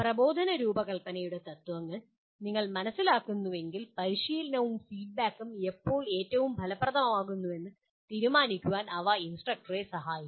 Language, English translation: Malayalam, This if you understand the principles of instructional design, they would help instructor to decide when practice and feedback will be most effective